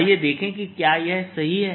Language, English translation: Hindi, let's check if this is correct